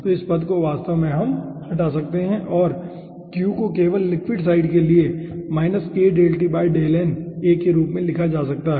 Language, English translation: Hindi, so this term actually we can cancel out and this q can be written as minus k, del t, del n, a for the liquid side only